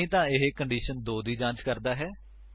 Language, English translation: Punjabi, Else, it again checks for condition 2